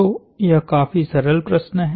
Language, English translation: Hindi, So, this is a fairly simple problem